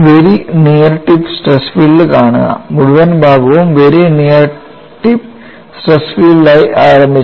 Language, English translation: Malayalam, And the very near tip stress field see, the whole section was started as very near tip stress field here